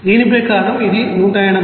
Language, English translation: Telugu, Accordingly, it will be coming as 180